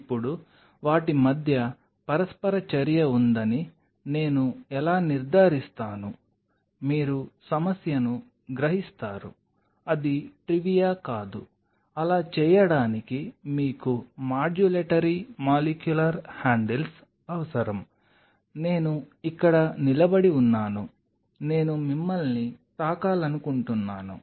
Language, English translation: Telugu, Now how I can ensure that there is an interaction between them, you realize the problem it is not that of a trivia in order to do that then you need modulatory molecular handles, I am standing here I want to in a touch you